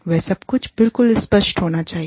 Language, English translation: Hindi, All that, has to be crystal clear